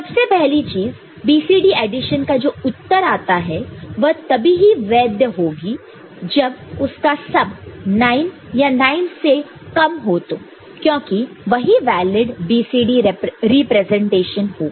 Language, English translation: Hindi, First of all we see that the result of BCD addition is valid when the sum is less than or equal to 9 because, up to 9 you have got valid BCD representation